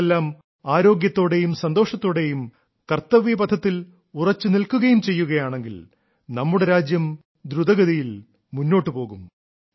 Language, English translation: Malayalam, May all of you be healthy, be happy, stay steadfast on the path of duty and service and the country will continue to move ahead fast